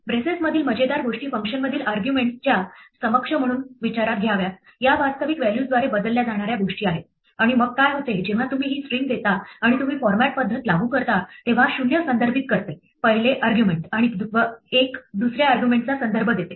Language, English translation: Marathi, The funny things in braces are to be thought of as the equivalent of arguments in the function, these are things to be replaced by actual values and then what happens is that when you give this string and you apply the format method then the 0 refers to the first argument and 1 refers to the second argument